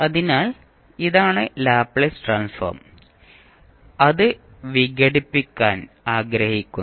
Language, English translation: Malayalam, So, this is the Laplace Transform and we want to decompose it